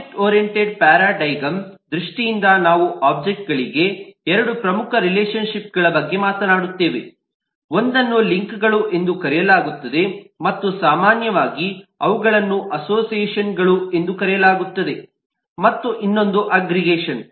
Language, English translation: Kannada, in terms of objectoriented paradigm, we talk of two important relationships for objects: one that is links, and often they are also referred to as association, and the other is aggregation